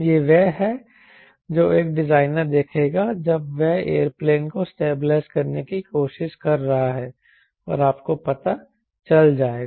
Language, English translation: Hindi, this is what a designer will look for when is trying to stabilize a aeroplane